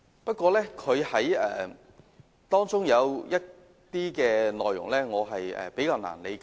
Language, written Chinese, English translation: Cantonese, 不過，她的修正案中有些內容我感到比較難以理解。, However I find some points in her amendment difficult to understand